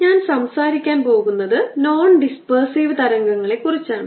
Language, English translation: Malayalam, i am going to talk about non dispersive waves